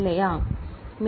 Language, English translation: Tamil, Is it ok